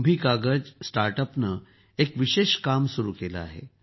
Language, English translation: Marathi, KumbhiKagaz StartUp has embarked upon a special task